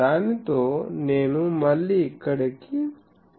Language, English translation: Telugu, So, with that I again go back here